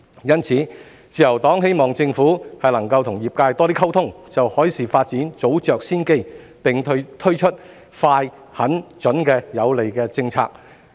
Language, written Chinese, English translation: Cantonese, 因此，自由黨希望政府能與業界多些溝通，就海事發展早着先機，並推出快、狠、準的有利政策。, In view of this the Liberal Party hopes that the Government will have more communication with the industry to get a head start on the development of maritime industry and will introduce favourable policies in a prompt resolute and pertinent manner